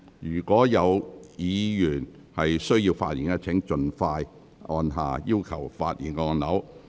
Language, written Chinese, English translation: Cantonese, 有意發言的委員，請盡快按下"要求發言"按鈕。, Members who wish to speak please press the Request to speak button as soon as possible